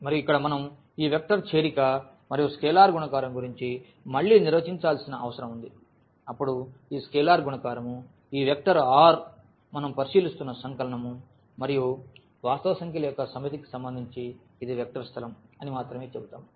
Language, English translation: Telugu, And, here we need to define again this vector addition and scalar multiplication then only we will say that this is a vector space with respect to this scalar multiplication, this vector addition and this set of real number R which we are considering